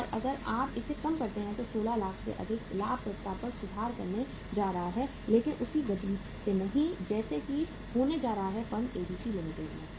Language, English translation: Hindi, And if you reduce it by 16 more lakhs profitability is going to improve but not at the same pace as it is going to happen in the firm ABC Limited